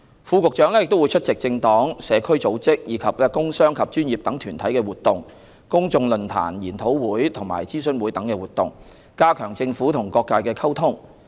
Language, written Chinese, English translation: Cantonese, 副局長亦會出席政黨、社區組織，以及工商及專業等團體的活動、公眾論壇、研討會及諮詢會等活動，加強政府與各界的溝通。, Deputy Directors of Bureau also attend activities of political parties community organizations and business and professional associations as well as public forums seminars and consultation sessions etc . to strengthen the communication between the Government and different sectors of the community